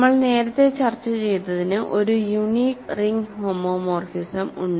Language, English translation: Malayalam, So, that we have discussed earlier there is a unique ring homomorphism